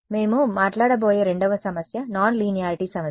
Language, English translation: Telugu, The second problem that we are going to talk about is a problem of non linearity